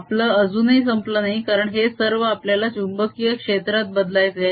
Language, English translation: Marathi, and that point we are not yet done because we want to convert this whole thing into the magnetic field